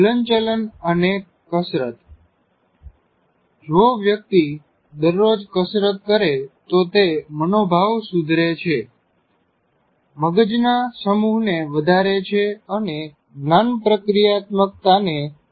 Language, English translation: Gujarati, And movement and exercise, that is if a person continuously exercises every day, it improves the mood, increases the brain mass and enhance cognitive processing